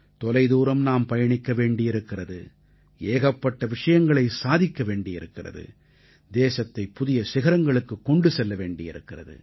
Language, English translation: Tamil, We have to walk far, we have to achieve a lot, we have to take our country to new heights